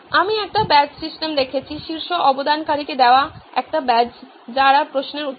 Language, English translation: Bengali, I have seen a badge system, a badge given to the top contributor, people who answer questions